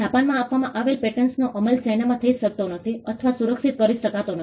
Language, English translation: Gujarati, Patents granted in Japan cannot be enforced or protected in China